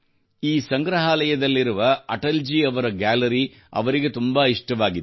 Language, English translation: Kannada, She liked Atal ji's gallery very much in this museum